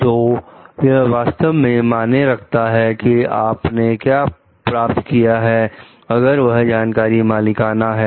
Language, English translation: Hindi, So, it really matters that what you have received, if that knowledge is proprietary